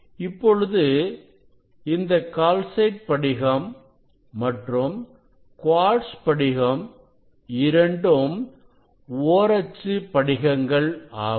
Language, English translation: Tamil, It is calcite crystals and quartz crystals; it is they are like glass